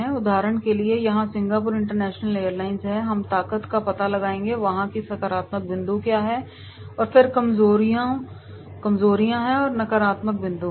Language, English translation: Hindi, For example, here is Singapore International Airlines we will find out the strengths, what are the positive points of there and then weaknesses that what are the negative points are there